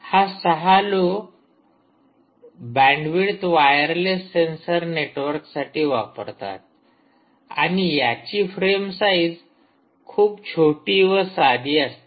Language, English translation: Marathi, it is meant for low bandwidth, it is meant for low bandwidth wireless sensor networks, right, and frame sizes are small